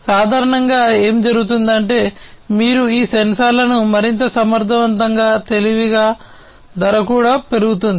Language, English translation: Telugu, Typically, what happens is the more you make these sensors much more competent intelligent robust and so on the price also increases